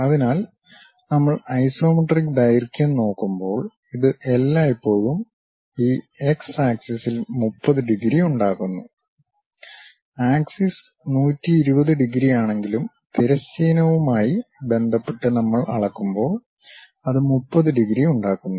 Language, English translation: Malayalam, So, when we are looking at isometric lengths, it always makes on this x axis 30 degrees; though axis makes 120 degrees, but when we are measuring with respect to the horizontal, it makes 30 degrees